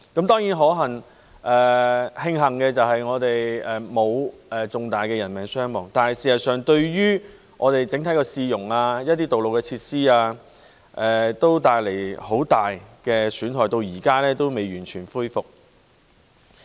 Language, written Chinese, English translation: Cantonese, 當然，值得慶幸的是，我們沒有出現重大的人命傷亡，但事實上，整體市容及一些道路設施均受到很大損壞，至今仍未完全恢復。, Of course thankfully we have not suffered heavy casualties . However in fact the overall cityscape and some road facilities have been greatly damaged and not yet been fully restored